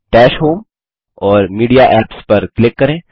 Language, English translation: Hindi, Click on Dash home and Media Apps